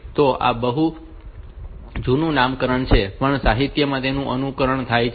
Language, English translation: Gujarati, So, this is a very old nomenclature, but that is followed in the literature